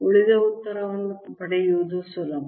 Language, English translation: Kannada, rest of the answer is then easy to get in